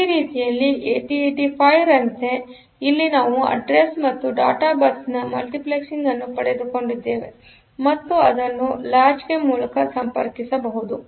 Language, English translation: Kannada, So, in this way just like 8085; so, here also we have got multiplexing of address and data bus and it can be connected through the latch